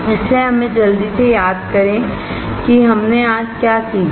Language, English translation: Hindi, So, let us quickly recall what we learnt today